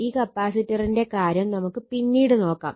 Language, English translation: Malayalam, So, this capacitor thing will consider later